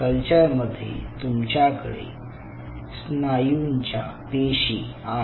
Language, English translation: Marathi, right, you have these muscle cells